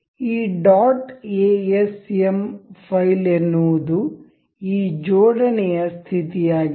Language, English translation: Kannada, This dot asm file is the state of this assembly